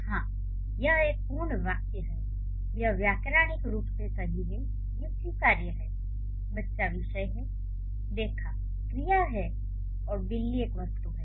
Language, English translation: Hindi, It is grammatically correct, it is acceptable, the child is the subject, saw is the verb and a cat is an object